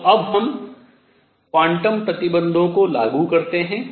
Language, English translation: Hindi, So now let us apply quantum conditions